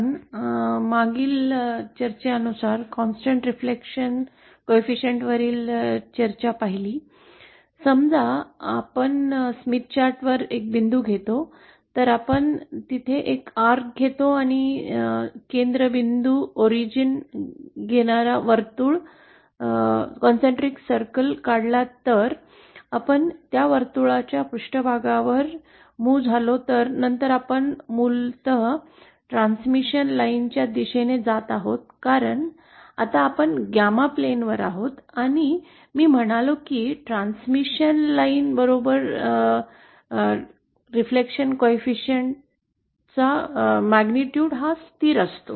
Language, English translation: Marathi, Now falling the discussion on this constant reflection coefficient that we had seen in the previous line, suppose we take S any point on the Smith Chart, we take a compass and draw a circle concentric circle which has a center at the origin then if we move along the surface of that circle then basically we are moving along a transmission line because now we are on gamma plane and I said that along a transmission line, the magnitude of the reflection coefficient is constant